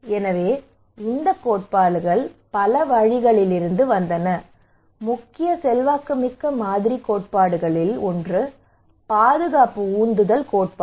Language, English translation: Tamil, So these theories came from many routes, one of the prominent influential model theory is the protection motivation theory